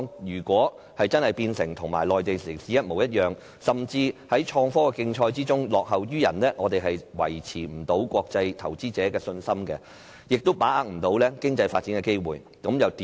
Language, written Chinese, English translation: Cantonese, 如果香港變得跟內地城市一模一樣，甚至在創科競賽中落後於人，我們便無法維持國際投資者的信心，而且無法把握經濟發展的機會。, If Hong Kong is reduced to just another city in the Mainland or if it even loses to others in innovation and technology IT we will be unable to maintain international investors confidence and grasp any economic opportunities